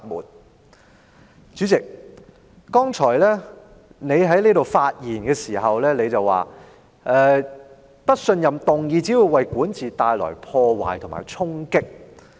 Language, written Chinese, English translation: Cantonese, 代理主席，你剛才發言時說，不信任議案只會為管治帶來破壞及衝擊。, Deputy President in your speech earlier you said that a no - confidence motion would only cause damages and deal a blow to governance